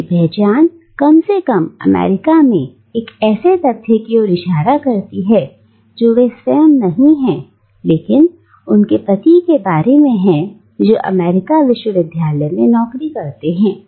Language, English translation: Hindi, Her identity, at least in America, refers back not to something that she is herself but refers back to her husband who has a job in an American university